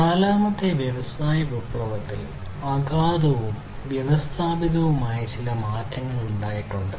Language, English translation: Malayalam, So, there has been some profound and systematic change in the fourth industrial revolution